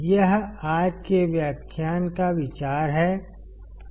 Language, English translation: Hindi, That is the idea of today’s lecture